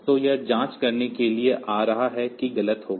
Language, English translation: Hindi, So, it will be coming to the this check will be false